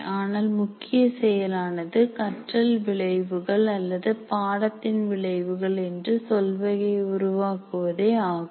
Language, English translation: Tamil, But what we look at it is the main activity is the creating a set of learning outcomes or what we are calling as course outcomes here